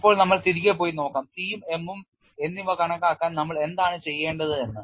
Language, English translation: Malayalam, Now, will go back and see what was the test that we need to do to calculate C and m